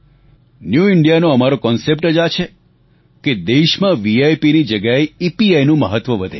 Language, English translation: Gujarati, Our concept of New India precisely is that in place of VIP, more priority should be accorded to EPI